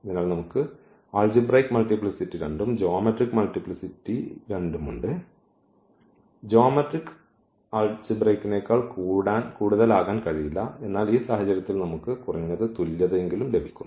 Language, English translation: Malayalam, So, we have the algebraic multiplicity 2 and as well as the geometric multiplicity 2; geometric cannot be more than the algebraic one again, but in this case we got at least the equality